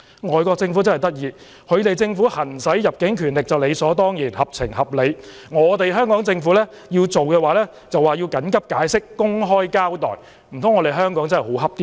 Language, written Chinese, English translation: Cantonese, 外國政府真有趣，他們行使入境權力便理所當然、合情合理，但香港政府做時卻要緊急解釋、公開交代，難道香港真的好欺負嗎？, Foreign governments are really funny in that their exercise of immigration power is considered to be natural sensible and reasonable but when the Hong Kong Government has taken the same action they demanded an urgent explanation and an account to the public . Is it that Hong Kong is really a pushover?